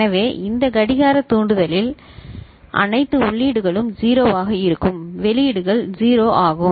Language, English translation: Tamil, So, at this clock trigger, at this clock trigger all the inputs are 0 right so the outputs are 0 is it ok